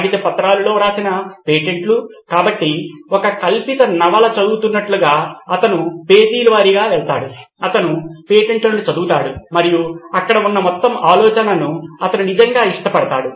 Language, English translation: Telugu, Paper documents were the patents to written as, so he would go through them page by page as if you are reading a fiction novel, he would read through patents and he would really love the whole idea of being there